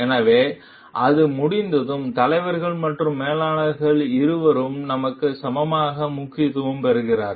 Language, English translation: Tamil, So, when that is done, both leaders and managers become equally important to us